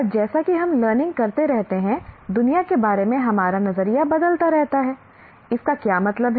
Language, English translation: Hindi, And as we keep learning, our view of the world keeps changing